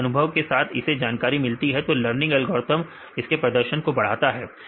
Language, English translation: Hindi, If it gets a information right based on the experience the learning algorithm, if it increase the performance